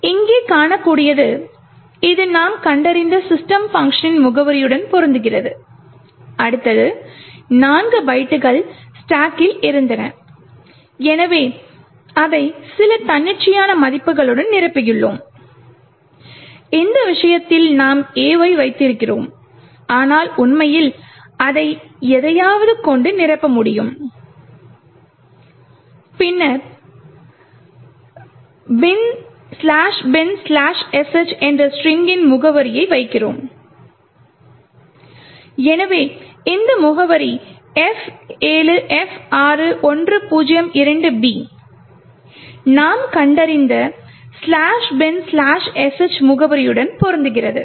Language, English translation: Tamil, As you can see here this matches the address of system function which we have just found, next really were of 4 bytes in the stack, so we just fill it with some arbitrary values, in this case we put A but we could actually to fill it with anything and then we put the address of the string /bin/sh, so this address F7F6102B which matches the address that we have actually found for /bin/sh